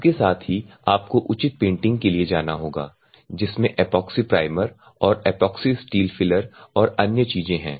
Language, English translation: Hindi, So, that you it will gain more strength at the same time you have to go for the proper painting for the epoxy primer and the epoxy steel filler and other things